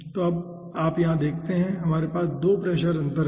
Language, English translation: Hindi, so now, here you see, we are having ah 2 pressure differences